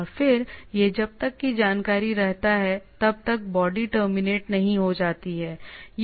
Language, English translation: Hindi, So and then it continues once the body once it is terminated